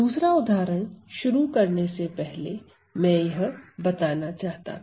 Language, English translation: Hindi, So, before I move on to another example I would like to mention